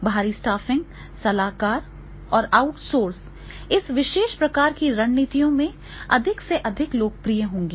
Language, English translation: Hindi, External staffing, the consultants and there the outsources that will be more and more popular in this particular type of the strategies